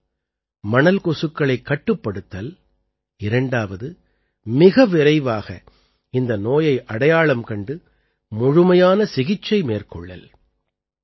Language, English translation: Tamil, One is control of sand fly, and second, diagnosis and complete treatment of this disease as soon as possible